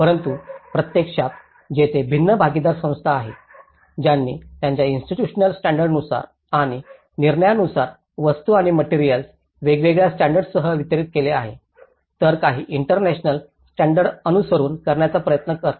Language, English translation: Marathi, But in reality, there are different partner organizations, which has distributed the goods and materials with different standards, as per their institutional standards and decisions, while some try to follow the international standards